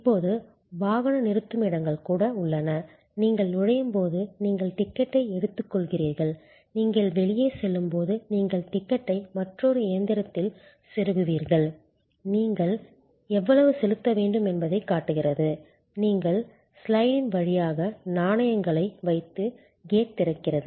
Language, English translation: Tamil, Even parking lots are now, you actually as you enter you take a ticket and as you go out, you insert the ticket in another machine, it shows how much you have to pay, you put the coins through the slot and the gate opens